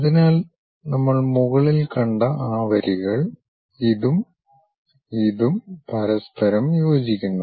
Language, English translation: Malayalam, So, those lines what we have seen top, this one and this one coincides with each other